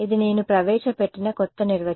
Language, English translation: Telugu, This is the new definition I have introduced